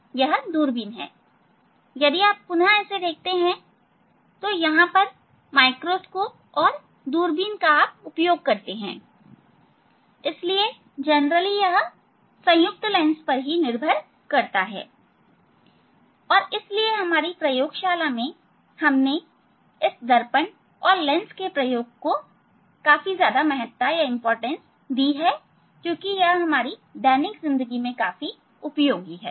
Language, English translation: Hindi, again, if you see it is where we use to microscope and telescope, so they are based on the simple cognition of the lens and that is what in our lab we give importance of this experiment on this on this lens and mirrors which are which are very useful for our day to day life,